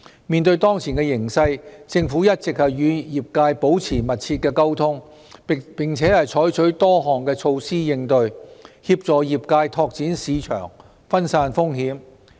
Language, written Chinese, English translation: Cantonese, 面對當前形勢，政府一直與業界保持密切溝通，並且採取多項措施應對，協助業界拓展市場和分散風險。, Facing the present situation the Government has all along maintained close communication with the industries and adopted various countermeasures to assist the industries in developing markets and diverting risks